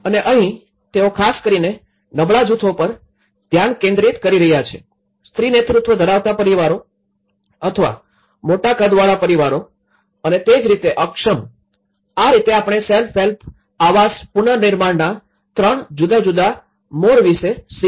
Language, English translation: Gujarati, And here, they are focusing on particular vulnerable groups especially, the female headed families or families with a large household size you know, that is how disabled so, this is how we learnt about three different modes of the self help housing reconstruction